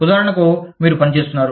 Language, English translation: Telugu, For example, you are working